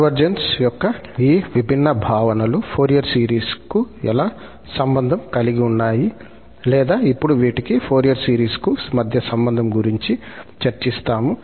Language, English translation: Telugu, Well, so how these different notions of convergence are related to the Fourier series or now, we will discuss here, their connection to the Fourier series